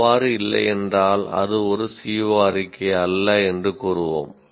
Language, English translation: Tamil, If it doesn't, then we will say it is not a CO statement